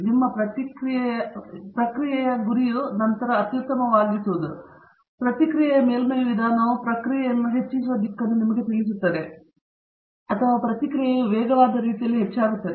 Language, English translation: Kannada, Suppose, the goal of your process is to optimize then, the Response Surface Methodology will tell you the direction where the process will be increasing or the process response would be increasing in the fastest manner